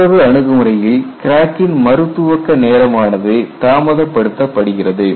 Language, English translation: Tamil, Other approach is delay the crack re initiation time